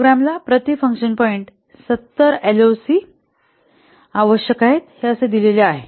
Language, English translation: Marathi, It said that the program needs 70 LOC per function point